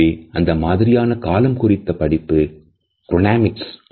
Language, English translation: Tamil, So, these aspects of time would be studied in Chronemics